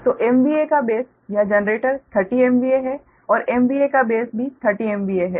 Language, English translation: Hindi, so m v a base is this generalized thirty m v a and m v a base is also thirty m v a